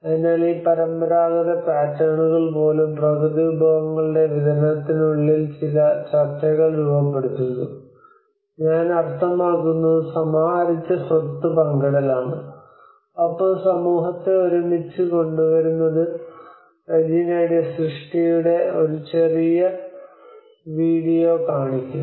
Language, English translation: Malayalam, So even these traditional patterns also formulate certain negotiations within the distribution of natural resources accumulate I mean sharing of the accumulated wealth, and bringing the community together like I will show you a small video of Reginaís work watch it